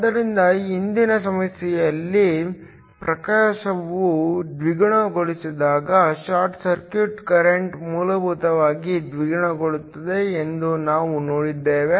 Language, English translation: Kannada, So, in the previous problem, we saw that when the illumination is doubled the short circuit current is essentially doubled